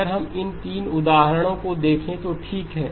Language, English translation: Hindi, If we are to now look at these 3 examples okay